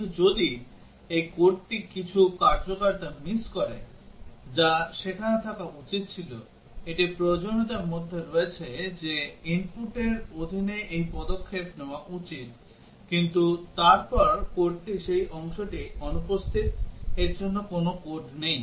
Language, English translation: Bengali, But what if the code has missed some functionality that should have been there, it is there in the requirements that under this input this action should take place, but then the code has that part missing; no code is there for that